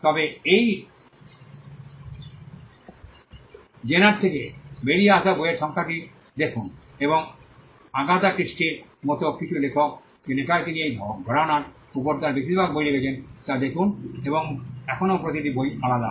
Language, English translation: Bengali, But look at the number of books that has come out of this genre and look at the number of authors some authors like Agatha Christie she has written most of her books on this genre and still each book is different